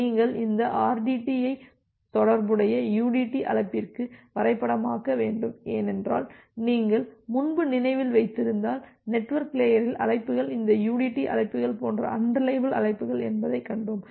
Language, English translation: Tamil, So, you need to map this rdt to the corresponding udt call because if you remember that earlier, we have seen that at the network layer the calls are unreliable calls like this udt calls